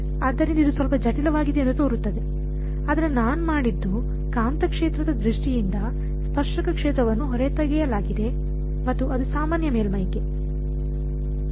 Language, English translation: Kannada, So, it looks a little complicated, but all I have done is have extracted the tangential field in terms of the magnetic field and the normal to the surface